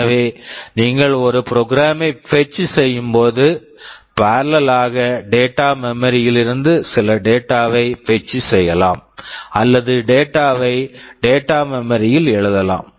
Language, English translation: Tamil, So, while you are fetching a program in parallel you can also fetch or write some data into data memory